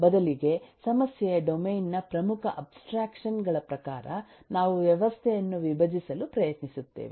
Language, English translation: Kannada, rather we try to decompose the system according to the key abstractions of the problem domain